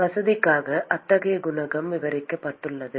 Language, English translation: Tamil, It is for convenience purposes such a coefficient has been described